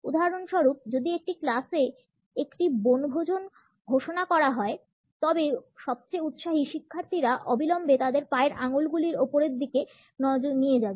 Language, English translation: Bengali, For example, if a picnic is to be announced in a class the most enthusiastic students would immediately move their toes upward